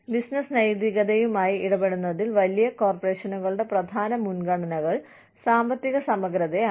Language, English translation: Malayalam, The main priorities of large corporations, in dealing with business ethics, are financial integrity